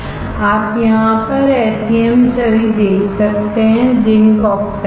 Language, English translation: Hindi, You can see the SEM image right over here; zinc oxide unaware